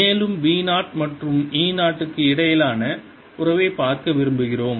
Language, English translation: Tamil, and we want to see the relationship between b zero and e zero